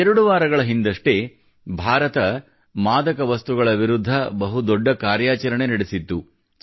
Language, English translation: Kannada, Two weeks ago, India has taken a huge action against drugs